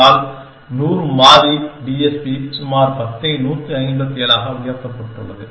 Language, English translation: Tamil, But, 100 variable TSP is about 10 raised to 157